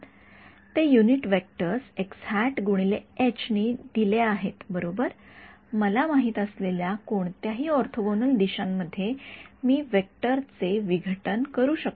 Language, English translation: Marathi, They are given by the unit vectors x hat cross H y hat cross right I can decompose a vector into any 3 orthogonal directions that I want